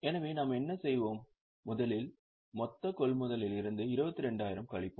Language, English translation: Tamil, So, what we will do is first we will have a look at the total purchases from that deduct 22,000